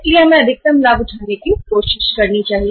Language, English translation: Hindi, So we should try to take maximum advantage out of it